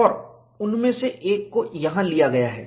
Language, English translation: Hindi, And one of them is picked up here